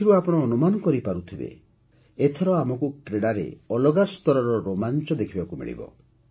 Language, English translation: Odia, From this, you can make out that this time we will see a different level of excitement in sports